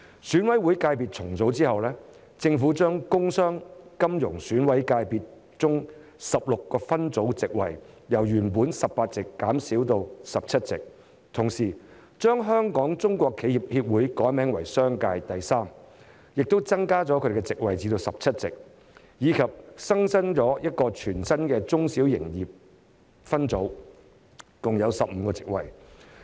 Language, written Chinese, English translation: Cantonese, 選委會界別重組後，政府將工商、金融選委界別中的16個界別分組的部分席位，由原本的18席減少至17席，同時將香港中國企業協會改名為商界，並增加其席位至17席；以及新增一個全新的中小企業界分組，共有15個席位。, In reorganizing EC sectors the Government has reduced the number of seats assigned to 16 subsectors under the industrial commercial and financial sectors from 18 seats originally to 17 seats . At the same time the Hong Kong Chinese Enterprises Association subsector would be renamed as commercial third subsector with the number of seats increased to 17 . In addition a new subsector viz